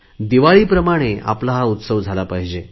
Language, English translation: Marathi, Just like Diwali, it should be our own festival